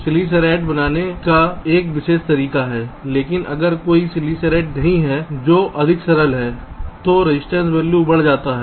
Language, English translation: Hindi, sillicided is a special way of creating, but if there is no sillicide, which is much simpler, then the resistance value increases, ok